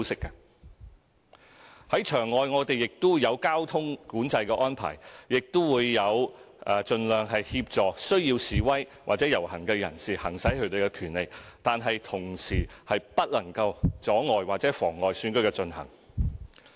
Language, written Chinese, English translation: Cantonese, 我們在場外有交通管制安排，亦會盡量協助需要示威或遊行的人士行使他們的權利，但同時他們不能阻礙或妨礙選舉進行。, There will be traffic control outside the polling stations . We will do our best to assist protesters and participants of processions to exercise their rights while preventing them from obstructing or disrupting the Election